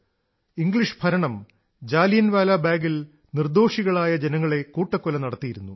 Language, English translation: Malayalam, The British rulers had slaughtered innocent civilians at Jallianwala Bagh